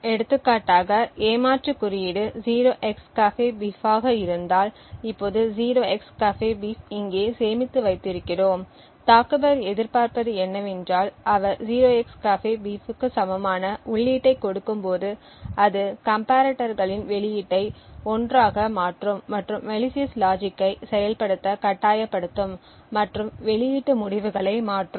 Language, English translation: Tamil, For example if the cheat code is a 0xCAFEBEEF we have 0xCAFEBEEF stored over here now what the attacker would expect is that when he gives an input equal to 0xCAFEBEEF it would change the comparators output to 1 and forcing the malicious logic to be activated and change the output results